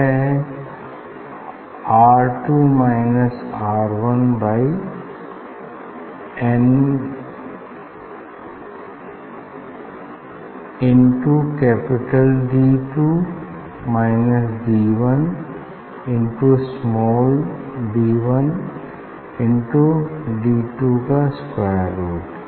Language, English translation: Hindi, that is R 2 minus R 1 divided by n into D 2 minus D 1 into square root of d 1 d 2